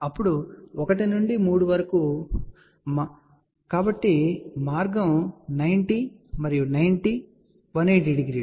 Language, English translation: Telugu, Then from 1 to 3, so the path is 90 and 90, 180 degree